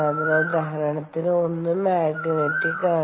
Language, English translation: Malayalam, so one of the examples is magnetic